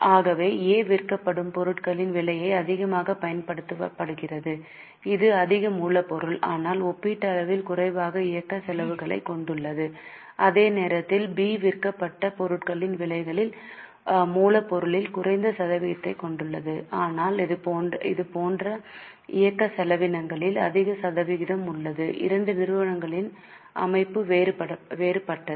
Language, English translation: Tamil, So, A is using more of cost of goods sold, that is more raw material but has relatively lesser operating expenses while B has lesser percentage on raw material on the cost of goods sold but has more percentage of operating expenses